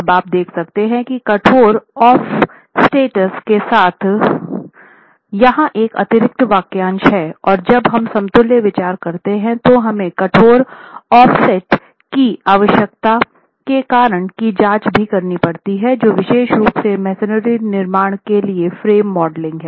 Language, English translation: Hindi, Now you can see that there is an additional phrase here with rigid offsets and we will examine the reason why we need to have rigid offsets when we consider equivalent frame modeling particularly with masonry constructions